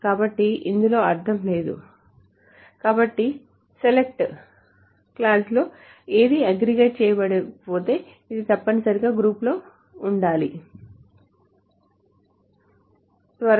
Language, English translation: Telugu, So whatever is not aggregated in the select clause must be present in the group by